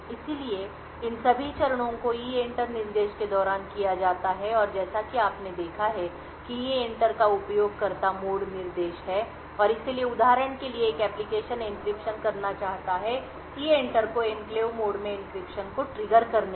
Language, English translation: Hindi, So, all of these steps are done during the EENTER instruction and as you as we have seen EENTER is a user mode instruction and therefore an application for example wants to do an encryption would invoke EENTER to trigger the encryption in the enclave mode